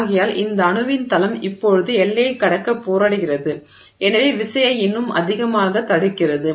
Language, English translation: Tamil, So, and therefore this plane of atom now struggles to cross the boundary and therefore resists the force even more